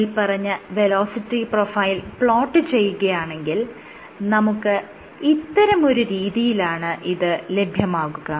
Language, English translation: Malayalam, So, if you plot the velocity profile the velocity profile will be something like this